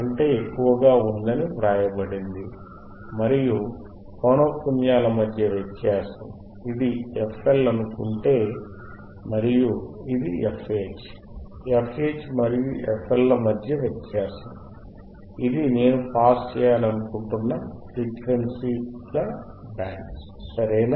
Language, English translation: Telugu, And the difference between frequencies, if I say this is f L and this is f H, then a difference between f H and f L, this is my band of frequencies that I want to pass, alright